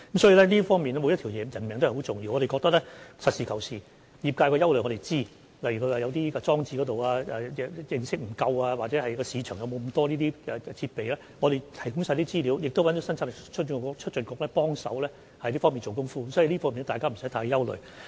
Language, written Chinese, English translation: Cantonese, 所以，每條人命也很重要，我們要實事求是，我們知悉業界的憂慮，例如有業界人士對裝置的認識不足，或憂慮市場有否那麼多設備，我們會提供資料，亦邀請了香港生產力促進局幫忙在這方面做工夫，所以，大家無須太憂慮。, We know the concerns of the industry . For instance some members of the industry are concerned that they do not have adequate knowledge of the devises while some are worried that there may not be so many devices available in the market . We will provide the relevant information for them and we have invited the Hong Kong Productivity Council to provide the relevant assistance